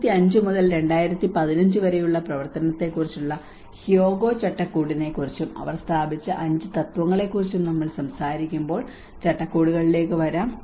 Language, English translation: Malayalam, So coming to the frameworks, when we talk about the Hyogo Framework for Action from 2005 to 2015 and these are the 5 principles which they have established